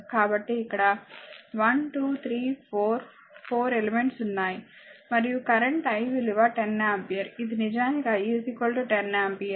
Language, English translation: Telugu, So, here 1, 2, 3, 4, 4 elements are there and current is I this 10 ampere this I actually is equal to 10 ampere